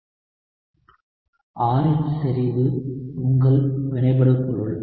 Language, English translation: Tamil, Concentration of R is your reactant